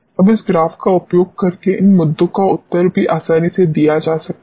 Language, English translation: Hindi, Now, these issues can also be answered very easily by using this graph